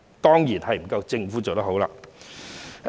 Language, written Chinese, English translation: Cantonese, 當然不夠政府做得好。, Of course the Government could have done a better job